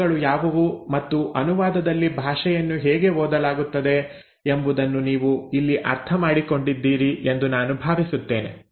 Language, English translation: Kannada, So I hope till here you have understood what are the ingredients and how the language is read in translation